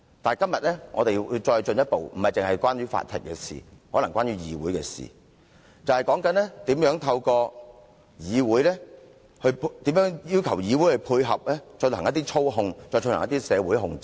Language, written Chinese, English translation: Cantonese, 但今天更進一步，不僅是關於法庭的事情，可能是關於議會的事情，便是如何透過要求議會配合來進行一些社會操控和社會控制。, The Court is not the only one involved . The legislature may also be dragged in now . I mean we are witnessing how the legislature is made to support the Government in achieveing the manipulation and control of society